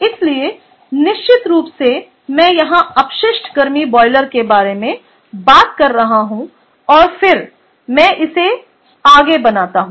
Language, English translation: Hindi, so definitely, i am talk, i am talking about waste heat boiler here, and then let me keep on drawing this